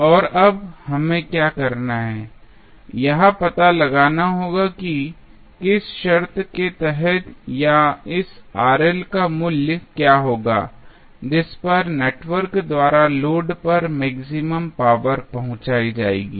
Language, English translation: Hindi, And now, what we have to do we have to find out under which condition or what would be the value of this Rl at which the maximum power would be delivered by the network to the load